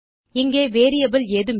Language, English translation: Tamil, We have got no variable here